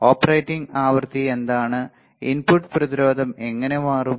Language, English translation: Malayalam, Then we have now what is the operating frequency, how the input resistance would change